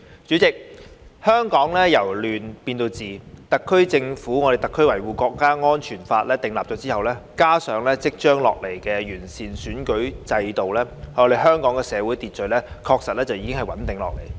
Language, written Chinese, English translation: Cantonese, 主席，香港由亂變治，《中華人民共和國香港特別行政區維護國家安全法》的訂立，加上即將落實的完善的選舉制度，香港社會秩序確實已經穩定下來。, President Hong Kong has seen order restored from chaos . The enactment of the Law of the Peoples Republic of China on Safeguarding National Security in the Hong Kong Special Administrative Region coupled with the upcoming implementation of an improved electoral system has indeed stabilized social order in Hong Kong